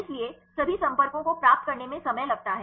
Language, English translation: Hindi, So, it takes time to get all the contacts